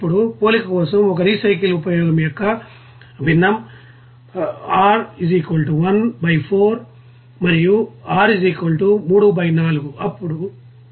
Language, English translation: Telugu, Now the fraction of a recycled use r = 1 by 4 and r = 3 by 4 for a comparison